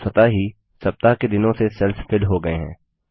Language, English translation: Hindi, The cells get filled with the weekdays automatically